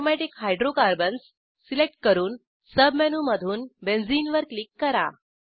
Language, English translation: Marathi, Lets select Aromatic Hydrocarbons and click on Benzene from the Submenu